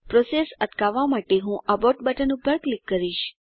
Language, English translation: Gujarati, I will click on Abort button to abort the process